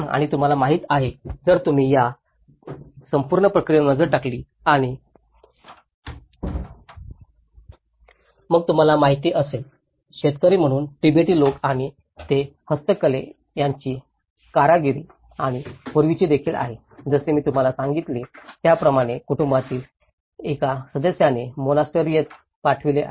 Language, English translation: Marathi, And you know, if you look at this whole process and then you know, Tibetans as a farmers and they are also the handicrafts, their craftsmanship and earlier, as I said to you one member of the family sent to the monastery to become a monk